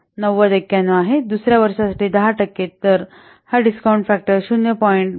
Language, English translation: Marathi, 9091 for 10% interest for second year this discounted factor is 0